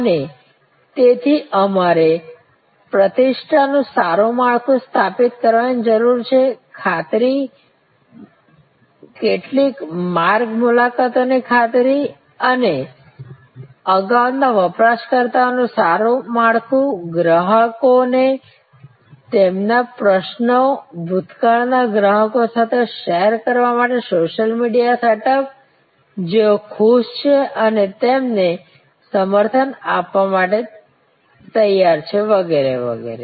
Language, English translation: Gujarati, And so we need to establish a good framework of reputation, guarantee, warranty some trail visits and good network of previous users, social media setup for intending customers to share their queries with past customers who are happy and ready to endorse you and so on